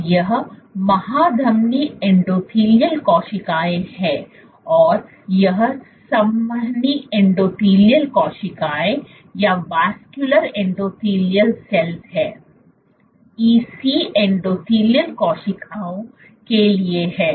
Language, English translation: Hindi, So, this is aortic endothelial cells and this is vascular endothelial cells EC stands for endothelial cells